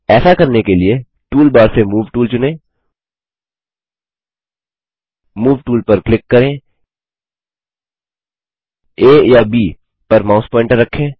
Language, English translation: Hindi, To do this Lets select the Move tool from the tool bar, click on the Move tool place the mouse pointer on A or B